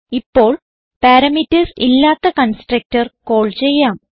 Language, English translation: Malayalam, And we are calling a constructor without parameters